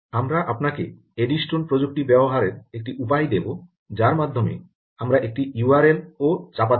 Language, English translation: Bengali, we will give you a way of using eddystone technology where by i we can push an u r l as well